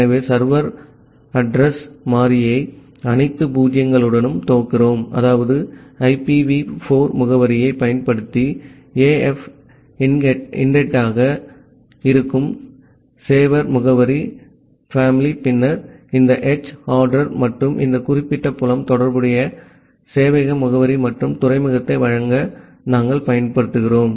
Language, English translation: Tamil, So, we are initializing the serverAddr variable with all zero’s that is to initialization that the sever address family that is AF INET to use the IPv 4 address then this h addr and this particular field we are using to provide the corresponding server address and the port number